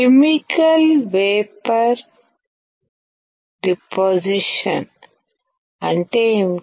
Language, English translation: Telugu, What is chemical vapor deposition